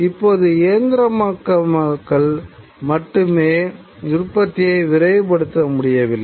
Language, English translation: Tamil, And now mere mechanization couldn't hasten production any further